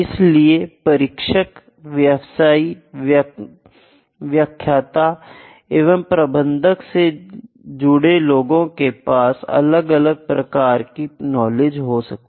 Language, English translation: Hindi, So, the instructors, the practitioner, the lecturers, the management people they have different kind of knowledge sets